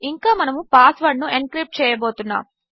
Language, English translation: Telugu, And we are going to do the encrypting of the password